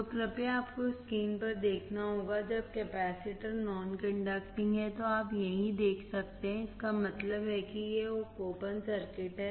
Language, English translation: Hindi, So, you have to see on the screen please, when the capacitor is non conducting, you can see here right that means, it is an open circuit